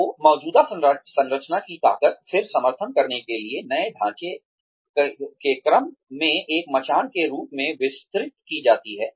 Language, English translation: Hindi, So, the strength, of the existing structure, is then extended by a way of, a scaffolding, in order to support, the new structure, that is coming up